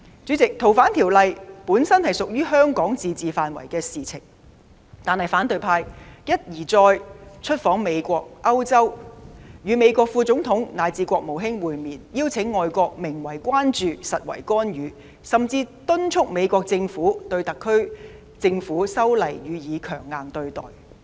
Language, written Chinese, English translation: Cantonese, 主席，《逃犯條例》本屬香港自治範圍的事情，但反對派一而再出訪美國、歐洲，與美國副總統以至國務卿會面，邀請外國名為關注，實為干預，甚至敦促美國政府對特區政府修例予以強硬對待。, President FOO is basically a matter within Hong Kongs autonomy . But the opposition camp has once and again paid visits to the United States and Europe met with the Vice President and the Secretary of State of the United States invited foreign interference disguised as concern and even called on the United States Government to adopt a hard line on the legislative amendment exercise of the SAR Government